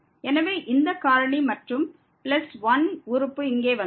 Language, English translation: Tamil, So, we have gone up to this plus 1 term